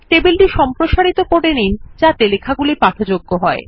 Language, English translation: Bengali, Lets elongate the table so that the text is readable